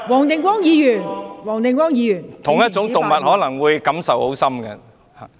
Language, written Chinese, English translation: Cantonese, 同屬一種動物，可能感受很深。, Animals of the same species may feel deeply